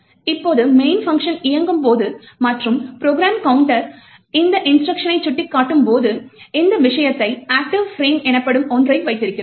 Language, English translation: Tamil, Now when the main function is executing and the program counter is pointing to this particular instruction, then we have this thing as the active frames